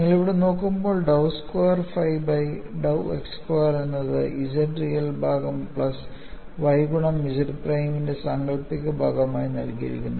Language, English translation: Malayalam, And when you look at here, this dou squared phi by dou x squared is given as real part of Z plus y imaginary part of Z prime